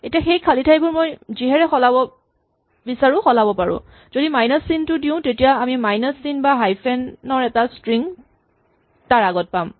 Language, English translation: Assamese, Now we can replace those blank spaces by anything we want, so say minus sign then we will get a string of a minus signs or hyphens before that